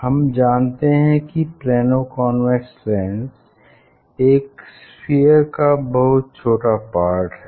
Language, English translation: Hindi, You will see that the Plano convex lens, this curved surface it will touch the plate